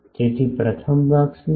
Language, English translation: Gujarati, So, what is the first part